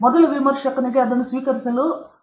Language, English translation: Kannada, For the first reviewer, for him to accept it is 0